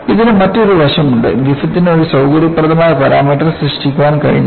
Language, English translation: Malayalam, And, there is also another aspect; see Griffith was not able to coin in a convenient parameter